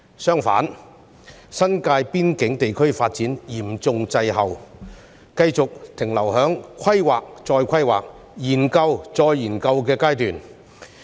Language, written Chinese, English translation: Cantonese, 相反，新界邊境地區的發展嚴重滯後，繼續停留在規劃再規劃，研究再研究的階段。, On the contrary development in the border area of the New Territories is lagging far behind and remains in the stage of endless planning and studies